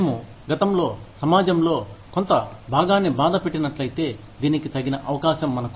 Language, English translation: Telugu, If we have hurt a certain part of the community in the past, this is our chance, to make up for it